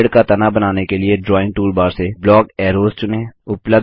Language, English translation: Hindi, To draw the trunk of the tree, from the Drawing toolbar select Block Arrows